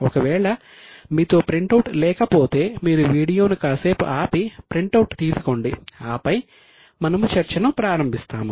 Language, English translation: Telugu, In case you don't have it you can stop the video, take the printout and then we will start the discussion